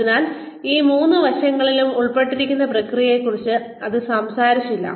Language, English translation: Malayalam, So, it did not talk about the processes involved, in each of these three aspects